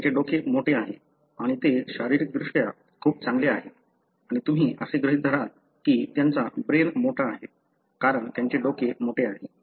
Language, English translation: Marathi, They have a huge head and they are very physically so good and you would assume that they have large brain, because they have a big head